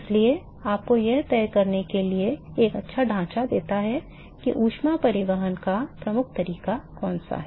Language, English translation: Hindi, So, therefore, it gives you a nice framework to decide which one is the dominating mode of heat transport